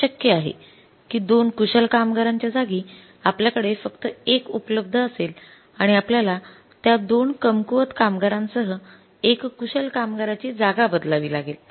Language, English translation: Marathi, It may be possible that in the place of the two skilled workers we have only one available and we have to replace that is the shortage of the one skilled worker with the two unskilled workers